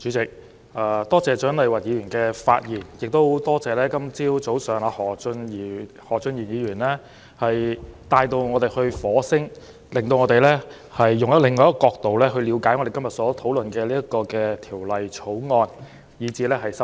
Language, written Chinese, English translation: Cantonese, 主席，多謝蔣麗芸議員的發言，亦多謝今天早上何俊賢議員把我們帶到火星，令我們從另一角度了解到今天討論的《2019年稅務條例草案》和修正案。, Chairman I thank Dr CHIANG Lai - wan for her speech and also thank Mr Steven HO for bringing us to Mars this morning so that we can understand the Inland Revenue Amendment Bill 2019 the Bill and the amendments under discussion today from another perspective